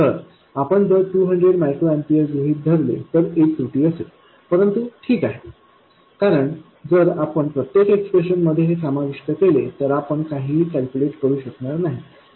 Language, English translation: Marathi, So, there is an error if we assume 200 microamperors but that's okay because if we include this in every expression we won't be able to calculate anything at all